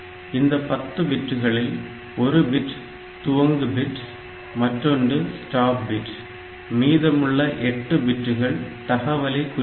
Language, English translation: Tamil, So, 10 bits out of this 10 bits one is the start bit 8 bits of data and 1 stop bit